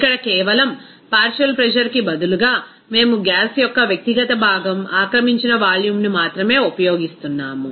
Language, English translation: Telugu, Here simply that instead of partial pressure, we are just using what should be the volume occupied by an individual component of the gas